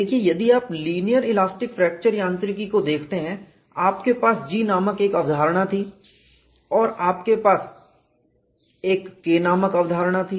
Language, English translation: Hindi, See if you look at linear elastic fracture mechanics, you had a concept called G and you had a concept called K